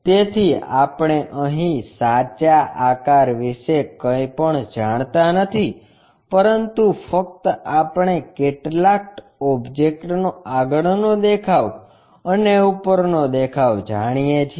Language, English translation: Gujarati, So, we do not know anything about true shape here, but just we know front view and top view of some object